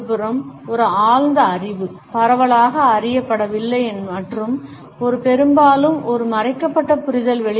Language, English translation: Tamil, Is a esoteric knowledge on the other hand; is no widely known and it is mostly a hidden understanding